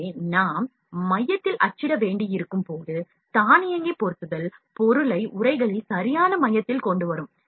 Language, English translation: Tamil, So, when we need to print at the center, auto positioning would bring the object at exact center in the envelop